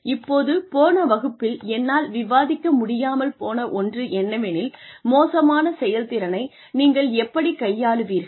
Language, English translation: Tamil, Now, the one point that, I was unable to cover, last time was, how do you manage poor performance